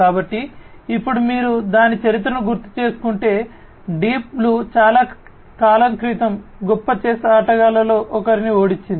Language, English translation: Telugu, So, if you recall you know its history now, that Deep Blue, basically defeated one of the greatest chess players long time back